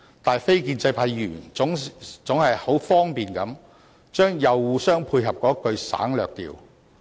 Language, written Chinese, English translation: Cantonese, 但是，非建制派議員總是很方便地把"又互相配合"省略掉。, However non - establishment Members always conveniently omit the as well as coordinate their activities limb of this explanation